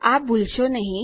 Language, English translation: Gujarati, Dont forget that